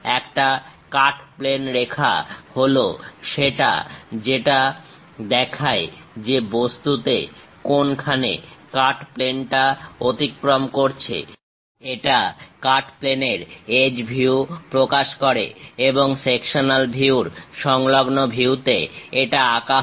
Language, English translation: Bengali, A cut plane line is the one which show where the cut plane pass through the object; it represents the edge view of the cutting plane and are drawn in the view adjacent to the sectional view